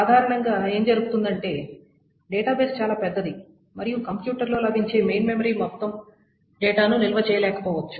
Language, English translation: Telugu, And what generally happens is that databases are quite large and the main memory that is available in a machine may or may not be able to store the entire data